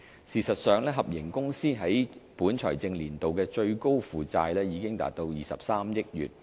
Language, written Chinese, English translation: Cantonese, 事實上，合營公司在本財政年度的最高負債已達23億元。, In fact the liability of HKITP will reach up to 2.3 billion in the current fiscal year